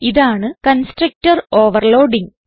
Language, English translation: Malayalam, This is constructor overloading